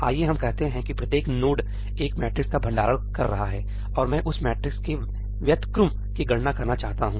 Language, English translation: Hindi, Let us say each node is storing a matrix, and I want to compute the inverse of that matrix